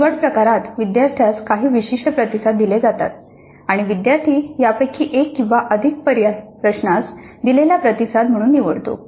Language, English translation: Marathi, In the selection type the student is presented with certain responses and the student selects one or more of these as the response to be given to the question